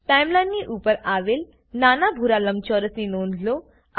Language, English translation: Gujarati, Notice the small blue rectangle at the top of the Timeline